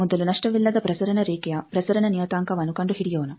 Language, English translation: Kannada, Now, first let us find the transmission parameter of a lossless transmission line